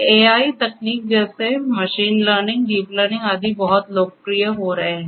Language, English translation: Hindi, AI techniques such as machine learning, deep learning etc